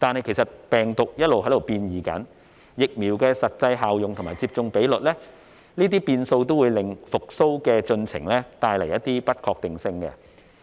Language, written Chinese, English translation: Cantonese, 但是，病毒變異、疫苗實際效用和接種比率都會為復蘇的進程帶來不確定性。, However variants of the virus the actual efficacy of vaccines and vaccination rate will all bring uncertainties to the process of recovery